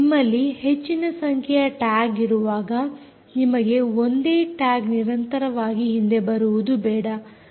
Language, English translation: Kannada, when you have a large population of tags, you dont want the same tag to be repeatedly coming back